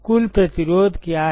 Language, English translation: Hindi, What is the total resistance